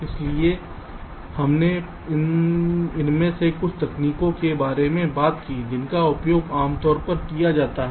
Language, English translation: Hindi, so we have talked about some of this techniques which have quite commonly used